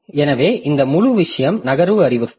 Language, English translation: Tamil, So, this whole thing is the move instruction